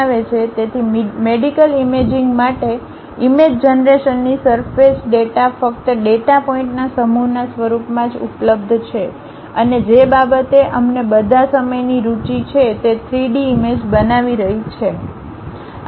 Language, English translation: Gujarati, So, for medical imaging image generation surface data is available only in the form of set of data points and what we all all the time interested is constructing that 3D image